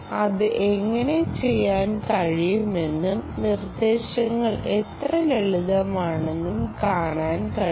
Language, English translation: Malayalam, you could do that and see how simple the instructions are